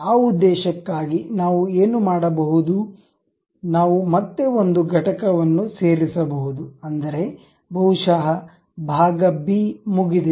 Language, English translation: Kannada, For that purpose, what we can do is, we can again insert one more component perhaps part b done